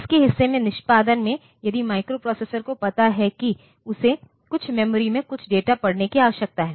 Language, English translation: Hindi, In the part of it is execution if the microprocessor finds that it needs to read some data from some memory